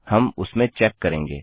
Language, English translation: Hindi, Well check on that